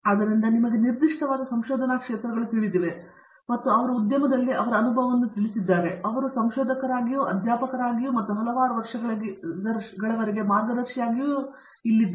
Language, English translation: Kannada, So, these are you know specific research areas and as he has mentioned his experience in the industry and he has been here as a researcher, as a faculty and as a guide for several years now